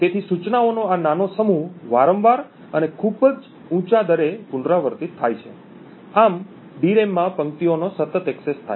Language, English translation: Gujarati, So this small set of instructions is repeated over and over again at a very high rate thus posing continuous access to rows in the DRAM